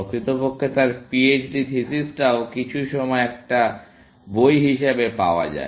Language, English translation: Bengali, In fact, his PHD thesis is also available as a book at some point of time